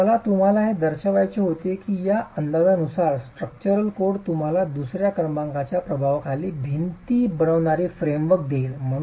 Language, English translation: Marathi, Okay, so I wanted to show you how with this sort of an estimate, code would then, structural code would then give you the framework within which you design walls under second order effects